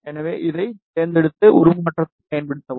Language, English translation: Tamil, So, just select this and use transform